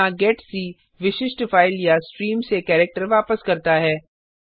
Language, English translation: Hindi, Here, getc returns a character from a specified file or stream